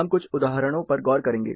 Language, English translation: Hindi, We will look at few examples